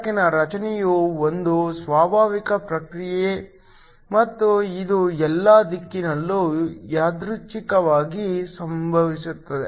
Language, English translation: Kannada, The formation of light is a spontaneous process and it occurs randomly in all directions